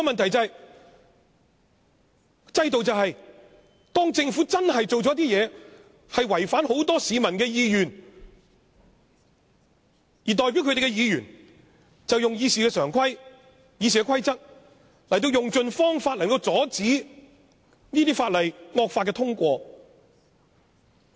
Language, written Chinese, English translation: Cantonese, 可是，制度就是當政府做了一些事情，將會違反很多市民的意願，代表他們的議員就應該根據《議事規則》，用盡方法阻止惡法通過。, Nevertheless when the Government tries to push through some laws against the will of the majority of citizens Members who are their representatives in the Council should strive to thwart the passage of those draconian laws in accordance with RoP . This is what the system for . This is the system of checks and balances